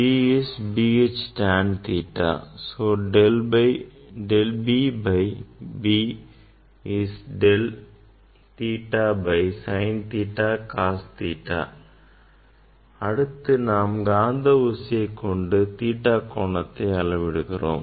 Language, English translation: Tamil, that we have to note down and B is B H tan theta, so del B by B is del theta by sin theta cos theta, ok we are measuring from compass; we are measuring theta